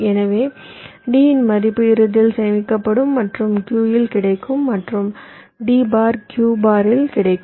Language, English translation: Tamil, so the value of d will ultimately be stored and will be available at q and d bar will be available at q bar